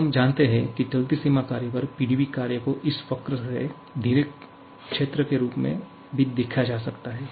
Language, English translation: Hindi, Now, we know that the PDV work on moving boundary work can also be viewed as the area enclosed by this curve